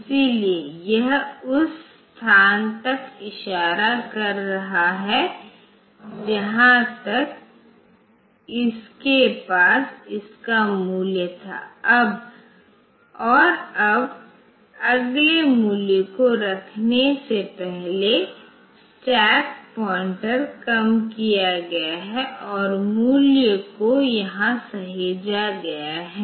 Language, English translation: Hindi, So, it was pointing to the location till which it was having the value and now, the new before putting the next value the stack pointer is decremented and the value is saved here